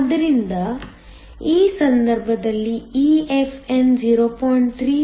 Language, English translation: Kannada, So, in this case EFn is 0